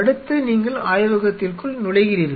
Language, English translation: Tamil, Then the next thing you enter inside the lab